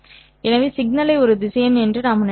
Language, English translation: Tamil, So, we can think of a signal as a vector